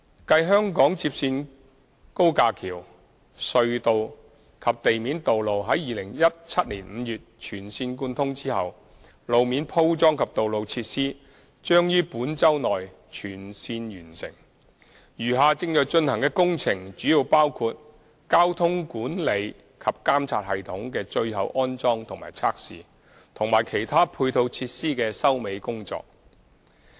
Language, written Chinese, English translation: Cantonese, 繼香港接線高架橋、隧道及地面道路在2017年5月全線貫通後，路面鋪裝及道路設施將於本周內全線完成，餘下正在進行的工程主要包括交通管理及監察系統的最後安裝及測試，以及其他配套設施的收尾工作。, Further to the complete connection of the viaduct tunnel and at - grade roads of HKLR in May 2017 road surfacing works and road facilities will be completed within this week . The remaining works in progress mainly include the final installation and testing of the Traffic Control and Surveillance System as well as the final works of some ancillary facilities